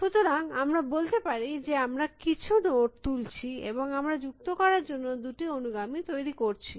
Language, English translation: Bengali, So, let us say we pick some node and we generate add it successors two